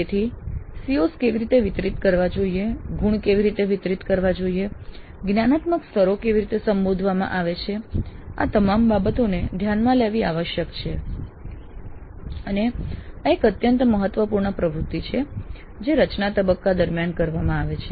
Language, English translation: Gujarati, So how how the COs are to be distributed, how the marks are to be distributed, how the cognitive levels are to be as addressed, all these things must be taken into account and this is an extremely important activity to be carried out during the design phase